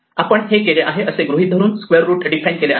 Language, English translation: Marathi, Assuming that we are done that then square root is defined